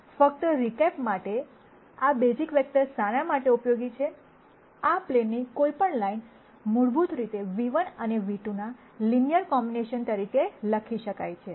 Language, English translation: Gujarati, Just to recap what this basis vectors are useful for is that, any line on this plane, basically can be written as a linear combination of nu 1 and nu 2